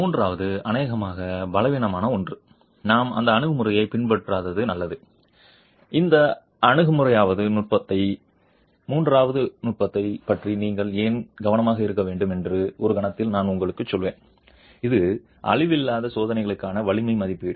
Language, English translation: Tamil, The third is something which is probably the weakest and it's better that we don't adopt that approach and I'll in a moment tell you why we should be careful about that third technique which is strength estimate for non destructive testing